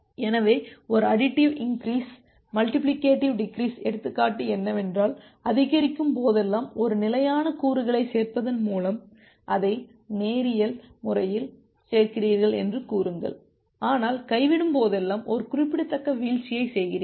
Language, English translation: Tamil, So, the example of a additive increase multiplicative decrease is that say you increase it linearly in additive way adding a fixed component whenever you are increasing, but whenever you are dropping you make a significant drop